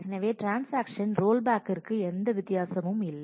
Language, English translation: Tamil, So, the transaction rollback has no difference